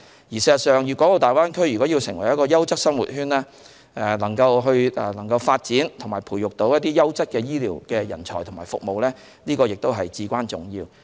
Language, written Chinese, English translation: Cantonese, 事實上，粵港澳大灣區如要成為優質生活圈，發展和培育優質的醫療人才和服務至關重要。, In fact if the Greater Bay Area is to be developed into a quality living circle it is highly important to nurture quality health care personnel and develop quality health care services